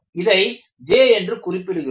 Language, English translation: Tamil, So, you had this as, labeled as J